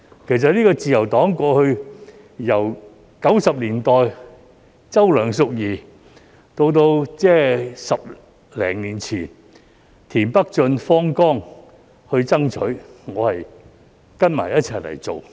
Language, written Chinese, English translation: Cantonese, 其實自由黨過去由1990年代的周梁淑怡到10多年前的田北俊、方剛都在爭取，我只是跟隨他們一起去做。, In fact throughout the time from Selina CHOW in the 1990s to James TIEN and Vincent FANG some 10 years ago the Liberal Party was always striving for its actualization . I merely followed their footsteps